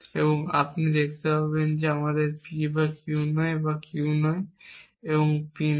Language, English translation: Bengali, And you can see this is again not P or Q and not Q and not P